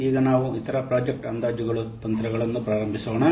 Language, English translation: Kannada, Now let's start the other project estimation techniques